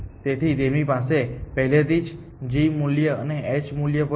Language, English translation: Gujarati, So, it already has a g value and an h value as well